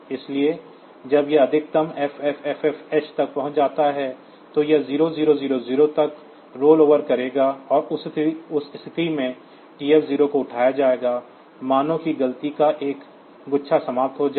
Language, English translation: Hindi, So, when it reaches the maximum FFFFH it will rollover to 0000 and in that case the TF0 will be raised, that as if 1 bunch of counting has been over